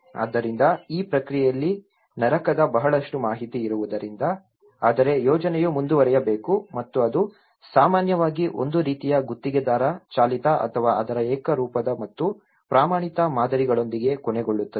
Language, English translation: Kannada, So, in this process, because there is a hell lot of information but then the project has to move on and that is where it often end up with a kind of contractor driven or an uniform and standardized models of it